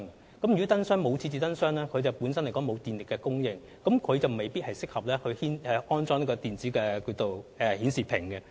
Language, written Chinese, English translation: Cantonese, 若不能在巴士站設置燈箱，便沒有電力供應，那麼便未必適合安裝電子資訊顯示屏。, There will be no electricity supply at bus stops with no light box panel and it may then not be appropriate to install an electronic information display panel there